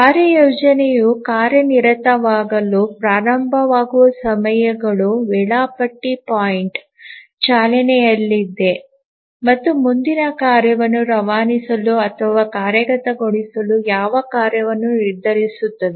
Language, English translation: Kannada, The scheduling point are the times at which the task scheduler becomes active, starts running and decides which tasks to dispatch or start execution next